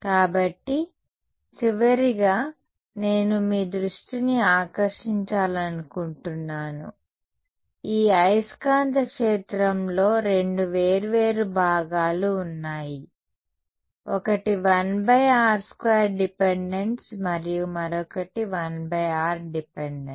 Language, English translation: Telugu, So, just; so, one last thing I’d like to draw your attention to is that there are two different parts of this magnetic field, one has a 1 by r dependence and the other has a 1 by r square difference